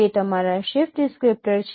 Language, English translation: Gujarati, That is what is your shift descriptor